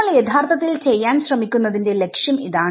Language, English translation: Malayalam, So, that is sort of the objective of what we are trying to do actually